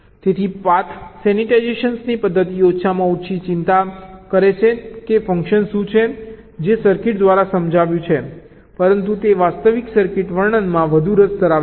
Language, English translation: Gujarati, so the method of path sensitization is least bothered about what is the function that is realized by the circuit, but it is more interested in the actual circuit description